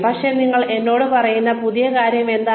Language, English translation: Malayalam, So, what is the new thing that, you are telling me